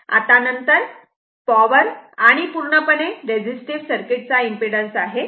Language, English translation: Marathi, Now, next is the power, the impedance for a pure resistive circuit